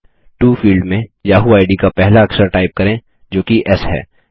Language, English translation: Hindi, In the To field, type the first letter of the yahoo id, that is S